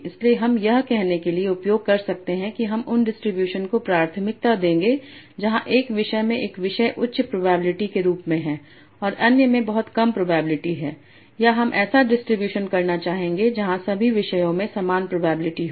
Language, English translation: Hindi, So I can use that to say that I will prefer distributions where one topic has a high probability and others have very low probability or I will like to have a distribution where all the topics have equal probability